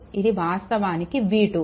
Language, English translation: Telugu, Here, it is given v 2